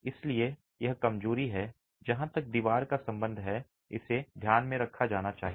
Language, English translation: Hindi, So, this is a weakness that needs to be kept in mind as far as the wall is concerned